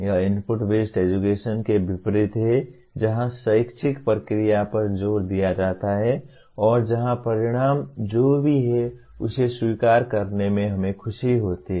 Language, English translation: Hindi, It is the opposite of input based education where the emphasis is on the educational process and where we are happy to accept whatever is the result